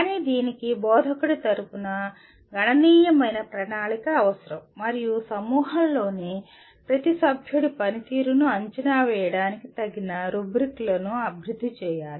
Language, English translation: Telugu, But this requires considerable planning on behalf of the instructor and developing appropriate rubrics for evaluation of the performance of each member of the group